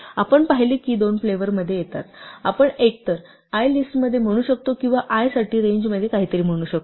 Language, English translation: Marathi, We saw that for comes in 2 flavors, we can either say for i in a list or we can say for i in range something